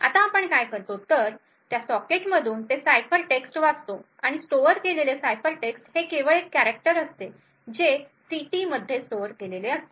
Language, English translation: Marathi, Now what we do is we read the ciphertext from that socket and this ciphertext is stored is just a character which is stored in ct